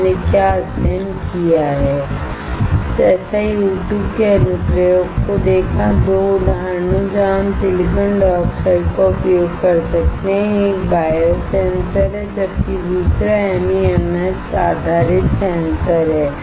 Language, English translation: Hindi, What we have studied: seen the application of SiO2, 2 examples where we can use the silicon dioxide; one is a biosensor, while another one is MEMS based sensor